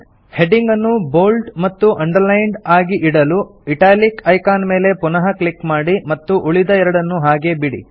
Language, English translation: Kannada, In order to keep the heading bold and underlined, deselect the italic option by clicking on it again and keep the other two options selected